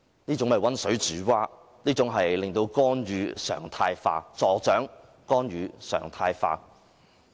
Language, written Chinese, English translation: Cantonese, 這種溫水煮蛙的方法令干預"常態化"，亦助長了干預"常態化"。, The effect of boiling frogs in lukewarm water is that interference will become normalized which further fuels the normalization of interference